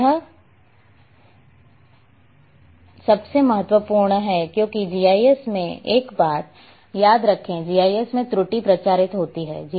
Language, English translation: Hindi, That is the most important because remember one thing in GIS error propagates in GIS